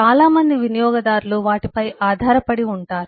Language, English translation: Telugu, many users should be depending on them